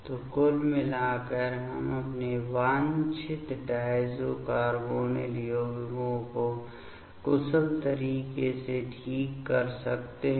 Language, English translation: Hindi, So, overall we can generate our desired diazo carbonyl compounds in efficient way ok